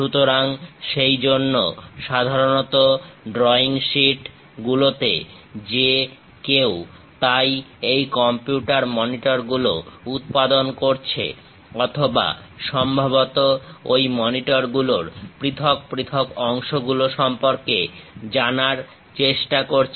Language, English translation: Bengali, So, for that purpose, usually on drawing sheets, whoever so manufacturing these computer monitors or perhaps trying to know about the individual components of that monitors